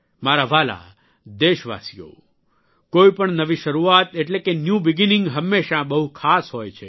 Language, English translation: Gujarati, My dear countrymen, any new beginning is always very special